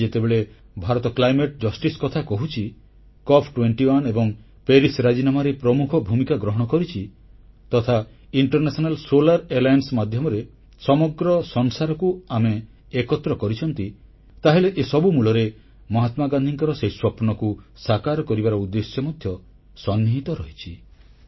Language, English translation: Odia, Today when India speaks of climate justice or plays a major role in the Cop21 and Paris agreements or when we unite the whole world through the medium of International Solar Alliance, they all are rooted in fulfilling that very dream of Mahatma Gandhi